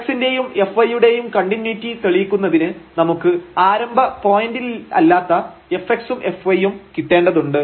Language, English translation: Malayalam, To prove the continuity of f x and f y, we need to get the f x and f y at non origin point